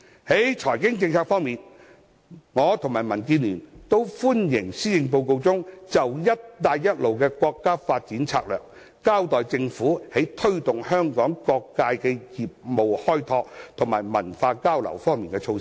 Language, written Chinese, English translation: Cantonese, 在財經政策方面，我和民主建港協進聯盟都歡迎施政報告中，就"一帶一路"國家發展策略，交代政府在推動香港各界的業務開拓和文化交流方面的措施。, Regarding financial policy DAB and I welcome the Policy Address in that it has set out the measures the Government will do to promote business opportunities for different sectors of Hong Kong and facilitate cultural exchange under the national development strategy of the Belt and Road Initiative